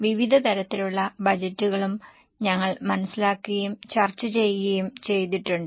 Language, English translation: Malayalam, We have also understood and discussed various types of budgets